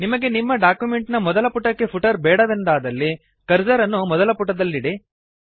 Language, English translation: Kannada, If you dont want a footer on the first page of the document, then first place the cursor on the first page